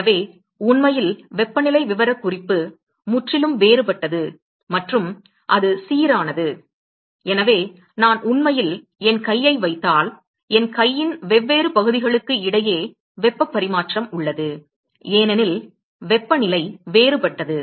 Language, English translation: Tamil, So, really the temperature profile is quite different than and it is uniform and so, if I am actually putting my hand there is a heat exchange between different part of my hand, one hand to the other hand because the temperature is different